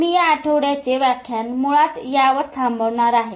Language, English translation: Marathi, Okay, so I will wrap up this week's lecture at this